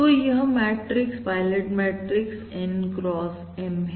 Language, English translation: Hindi, So we have N x M pilot matrix where N is greater than equal to M